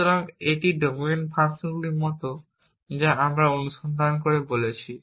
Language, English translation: Bengali, So, this is like domain functions that we talked about in search